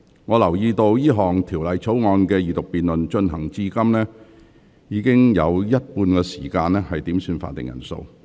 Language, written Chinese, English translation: Cantonese, 我留意到這項條例草案的二讀辯論進行至今，已花了近一半時間點算法定人數。, As I noticed so far nearly half of the time of the Second Reading debate on this Bill has been spent on headcounts